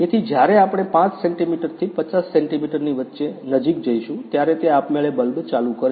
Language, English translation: Gujarati, So, when we go closer between 5 centimetre to 50 centimetre, it will automatically turn on the bulb